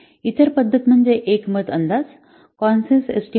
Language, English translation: Marathi, The other method you consensus meeting consensus estimating